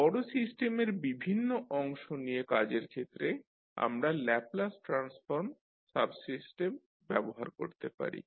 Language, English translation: Bengali, Now when dealing with the parts of the large system we may use subsystem Laplace transform